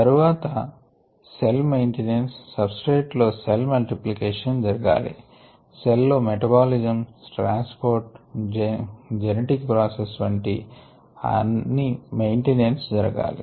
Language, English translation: Telugu, then we looked at the concept of maintenance, the substrate we said needs to go towards cell multiplication as well as towards cell maintenance of metabolism, transport, genetic processes and so on